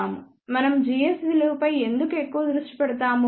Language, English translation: Telugu, Why we focus more on g s value